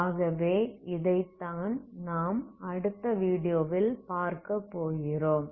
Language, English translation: Tamil, So this is what we will see in the next video, okay thank you very much